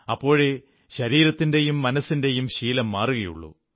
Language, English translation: Malayalam, Only then will the habit of the body and mind will change